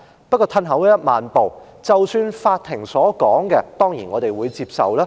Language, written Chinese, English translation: Cantonese, 不過，退1萬步說，法庭的判決，我們當然會接受。, However in any case of course we accept the Courts decisions